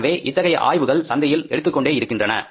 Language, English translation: Tamil, So, these studies continue taking place in the market